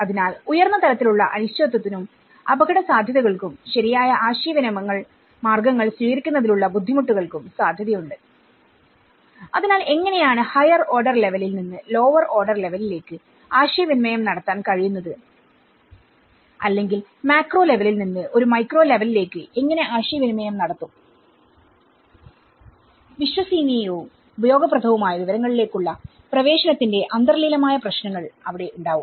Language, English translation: Malayalam, So, this is where there will be a chances of high levels of uncertainty and risks and difficulties in adopting proper communication means so, how at a higher order level, which can communicate to a lower order level or you know how a macro level will look at a micro level communication, inherent problems of access to reliable and useful information